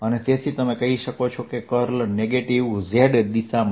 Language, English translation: Gujarati, that curl is in the negative z direction